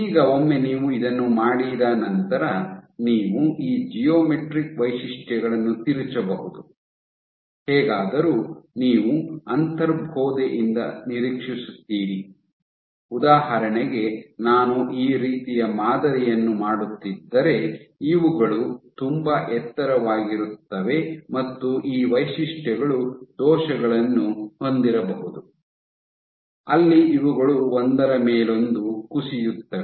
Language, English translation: Kannada, So, of course, what you can tweak is these geometrical features; however, you would intuitively expect for example if I am making this kind of a pattern, but these are very tall these features you might have defects where these actually collapse onto each other